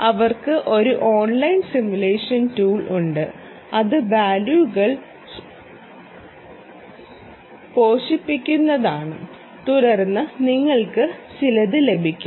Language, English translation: Malayalam, them even have an online tool simulation tool, which is you feed in values and then you will get some ah